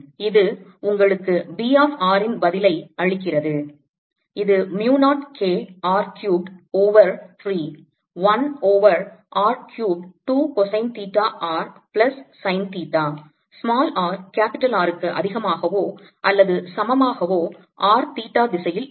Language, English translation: Tamil, b of r is equal to mu naught k r cubed over three, one over r cubed two cosine theta r plus sine theta in theta direction for r greater than or equal to r, and this is equal to two mu naught k over three r in the z direction for r less than or equal to r